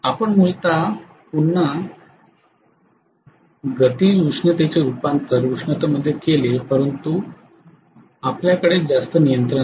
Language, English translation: Marathi, You are essentially having again kinetic energy converted into heat but you are not having much control